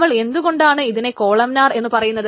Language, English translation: Malayalam, Why is it called columnar